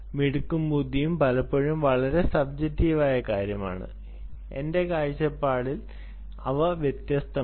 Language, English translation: Malayalam, this topic of smart and intelligent are often it's a very subjective thing, but i, in my view, they are different